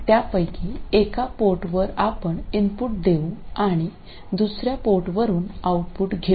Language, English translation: Marathi, So, to one of the ports we will feed the input and from another port we take the output